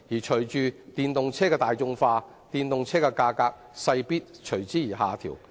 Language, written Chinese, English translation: Cantonese, 隨着電動車大眾化，電動車的格價勢必下調。, As electric vehicles become more popular their prices will definitely fall